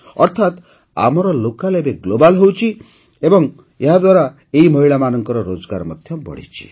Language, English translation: Odia, That means our local is now becoming global and on account of that, the earnings of these women have also increased